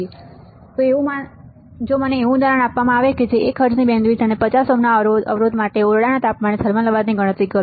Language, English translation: Gujarati, So, if I am given a example such that calculate the thermal noise at room temperature for a bandwidth of 1 hertz and impedance of 50 ohm